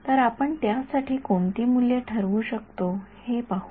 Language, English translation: Marathi, So, let us see what values we can set for it ok